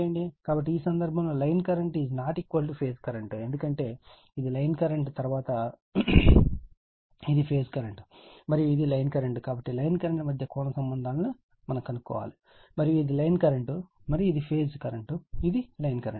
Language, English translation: Telugu, So, in this case line current is not is equal to phase current because, this is the line current after that this is the phase current and this is the line current so, we have to find out some relationships between the line current and this is the line current and phase current this is the line current right